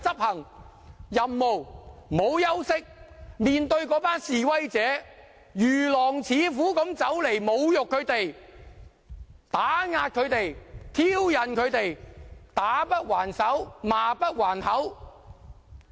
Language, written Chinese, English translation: Cantonese, 他們面對那群示威者如狼似虎的侮辱、打壓、挑釁，要打不還手，罵不還口。, Faced with the insults oppression and provocation from those ferocious ravenous protesters they had to refrain from answering back or striking back in the face of provocation